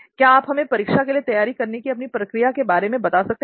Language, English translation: Hindi, Can you just take us through the process of your preparation for exam